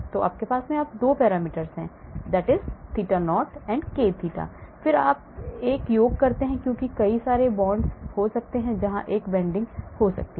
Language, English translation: Hindi, So you have 2 parameters, theta not and k theta and again you do a summation because there could be many bonds where there could be a bending happening